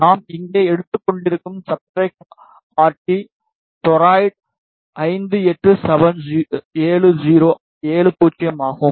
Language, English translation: Tamil, And the substrate that we are taking here is RT duroid 5870